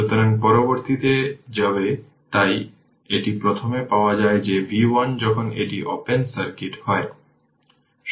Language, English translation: Bengali, So, this is first you obtain that v 1 right when it is open circuit